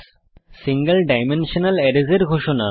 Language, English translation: Bengali, To declare Single Dimensional Arrays